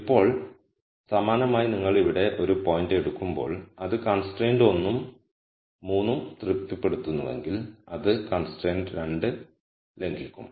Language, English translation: Malayalam, Now similarly if you take a point here while it satis es constraint 1 and 3 it will violate constraint 2